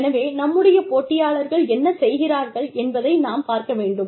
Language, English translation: Tamil, So, we will see, what our competitors are doing